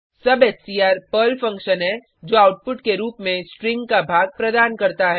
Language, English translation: Hindi, substr is the PERL function which provides part of the string as output